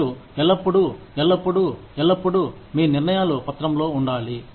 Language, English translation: Telugu, You should, always, always, always, document, your decisions